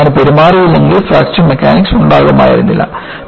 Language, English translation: Malayalam, If the structure behaves like that, there would not have been any Fracture Mechanics